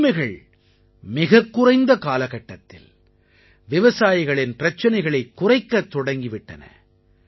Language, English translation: Tamil, In just a short span of time, these new rights have begun to ameliorate the woes of our farmers